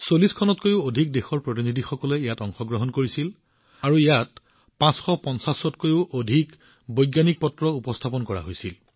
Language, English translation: Assamese, Delegates from more than 40 countries participated in it and more than 550 Scientific Papers were presented here